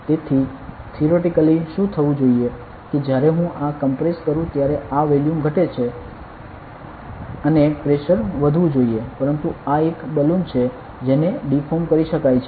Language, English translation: Gujarati, So, theoretically what should happen is when I compress this the volume decreases and the pressure should increase, but since this is a balloon can deform it can deform